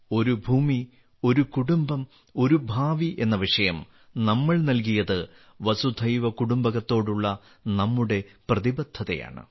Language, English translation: Malayalam, The theme that we have given "One Earth, One Family, One Future" shows our commitment to Vasudhaiva Kutumbakam